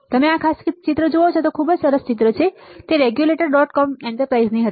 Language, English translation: Gujarati, If you see this particular images which is very nice image, it was from enterprises in the regulators dot com